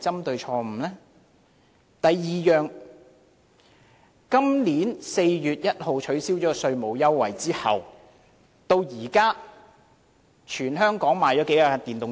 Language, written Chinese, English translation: Cantonese, 第二，今年4月1日取消稅務優惠至今，全港賣出多少部電動車？, Secondly since the abolition of the tax concessions on 1 April this year how many electric vehicles have been sold?